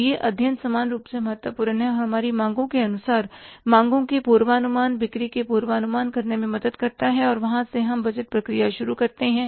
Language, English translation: Hindi, So these research studies are equally important and they help us in the estimation of the demands, forecasting of the demands, forecasting of the sales and there we start the budgeting process from